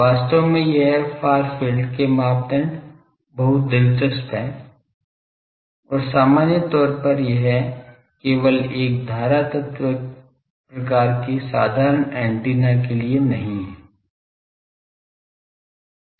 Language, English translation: Hindi, Actually this criteria far field is very interesting and general it is not only for a current element type of simple antenna